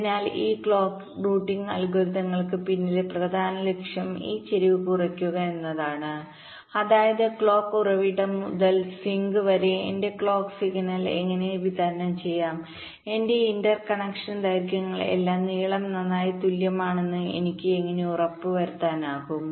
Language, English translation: Malayalam, so the main objective behind these clock routing algorithms is to minimize this skew, which means how to distribute my clock signal such that, from the clock source down to the sink, how i can ensure that my inter connection lengths are all equal in length